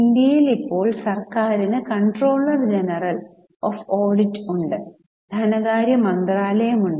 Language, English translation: Malayalam, In India, the government has now, current government has Comptroller General of Audit and Ministry of Finance